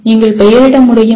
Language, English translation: Tamil, Can you name the …